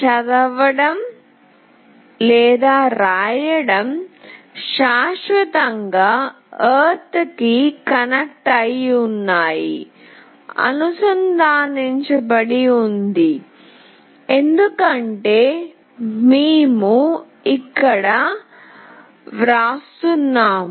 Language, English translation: Telugu, Read/write is permanently connected to ground, because we are only writing here